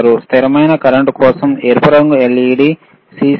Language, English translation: Telugu, For cconstant current, red colour right ledLED CC is present